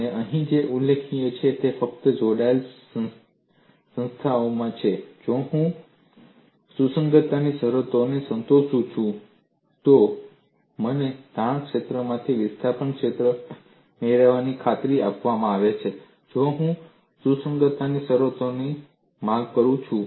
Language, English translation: Gujarati, And what is mentioned here is in simply connected bodies, if I satisfy the compatibility conditions, I am guaranteed to get the displacement field from the strain field; if I invoke the compatibility conditions